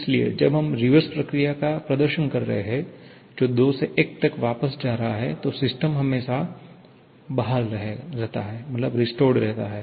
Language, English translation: Hindi, So, when we are performing the reverse process that is going back from 2 to 1, the system is always restored